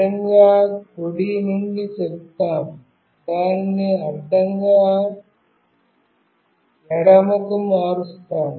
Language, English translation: Telugu, Let us say from horizontally right, we change it to horizontally left